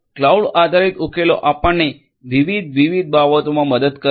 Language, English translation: Gujarati, Cloud based solutions will help us in doing a number of different things